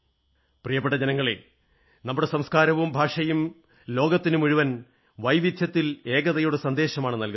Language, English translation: Malayalam, My dear countrymen, our civilization, culture and languages preach the message of unity in diversity to the entire world